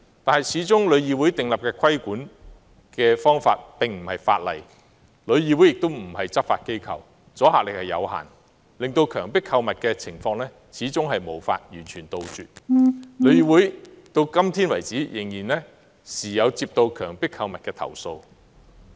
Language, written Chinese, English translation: Cantonese, 可是，旅議會訂立的規管方法始終不是法例，而旅議會亦非執法機構，故此阻嚇力有限，令強迫購物的情況始終無法完全杜絕，旅議會至今仍不時接獲有關強迫購物的投訴。, Nevertheless as the regulatory measures formulated by TIC is not law and TIC is not a law enforcement agency the deterrent effect is limited . Coerced shopping cannot be eradicated and TIC still receives such complaints from time to time